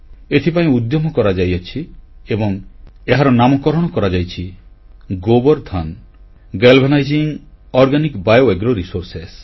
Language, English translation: Odia, An effort was initiated which was named GOBARDhan Galvanizing Organic Bio Agro Resources